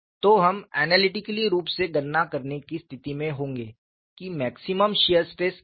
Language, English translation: Hindi, So, we would be in a position to analytically calculate, what is the maximum shear stress